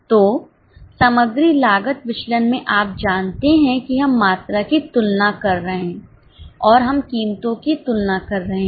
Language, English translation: Hindi, So, in material cost variance you know that we are comparing the quantities and we are comparing the prices